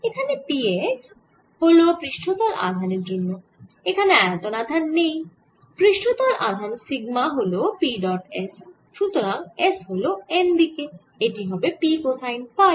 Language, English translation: Bengali, now, this is a very simple, because p x means there is a surface charge, there is no bulk charged, but the surface charge sigma is p dot s, because s n, which is p cosine of phi